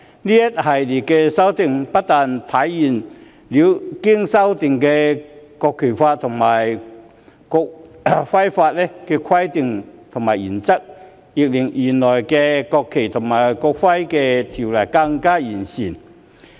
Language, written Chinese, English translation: Cantonese, 這一系列的修訂，不但體現了經修正的《國旗法》和《國徽法》的規定和原則，亦令原來的《國旗及國徽條例》更完善。, Not only does this series of amendments reflect the requirements and principles of the amended National Flag Law and the amended National Emblem Law but it also perfects the original NFNEO